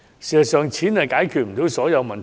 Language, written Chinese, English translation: Cantonese, 事實上，錢解決不到所有問題。, As a matter of fact money is not necessarily a panacea